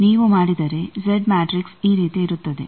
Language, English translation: Kannada, If you do the Z matrix will be like this